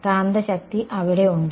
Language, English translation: Malayalam, Magnetic there are